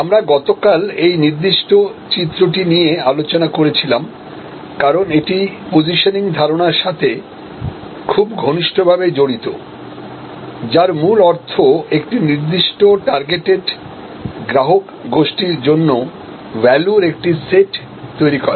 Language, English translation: Bengali, So, we were discussing yesterday this particular diagram, because this is very closely associated with the whole concept of positioning, which fundamentally means creating a set of values for a certain targeted group of customers